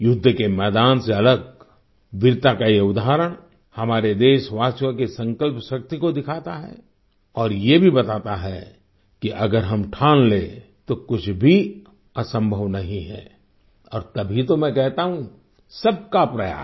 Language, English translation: Hindi, Apart from the battlefield, this example of bravery shows the determination of our countrymen, and it also tells that if we take a resolve, nothing is impossible and that is why I say 'Sabka Prayas'…everyone's effort